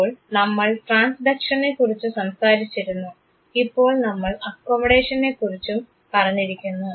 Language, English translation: Malayalam, So, what we have done we have talked about transduction, we have right now talked about accommodation